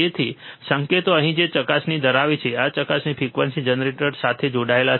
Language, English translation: Gujarati, So, the the signals are here which is holding the probe, this probe is connected with the frequency generator